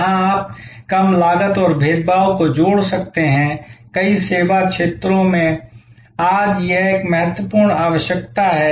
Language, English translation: Hindi, Where, you can combine low cost and differentiation, this is a key requirement today in many service areas